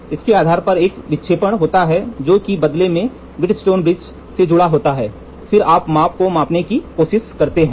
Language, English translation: Hindi, So, based on this there is a deflection which is coming this in turn is attached to the Wheatstone bridge then we try to measure the take the measurement